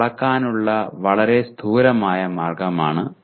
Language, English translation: Malayalam, That is a very gross way of measuring